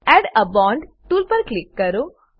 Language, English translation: Gujarati, Click on Add a bond tool